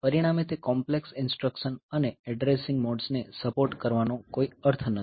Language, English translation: Gujarati, So, as a result there is no point supporting those complex instruction modes and a addressing modes